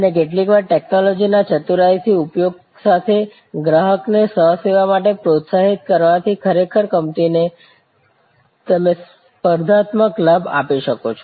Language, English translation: Gujarati, And sometimes with clever deployment of technology, encouraging the customer for self service can actually differentiate the company and you can give a competitive advantage